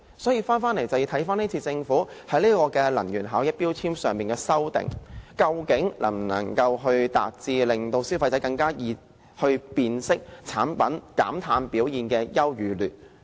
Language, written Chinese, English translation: Cantonese, 所以，我們要考慮政府今次對《能源效益條例》的修訂，究竟能否達致令消費者更容易辨識產品減碳表現的優與劣。, Hence we have to consider whether the Governments current proposed amendments to the Ordinance can make it easier for consumers to identify the energy efficiency performances of electrical appliances